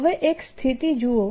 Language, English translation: Gujarati, now look at a situation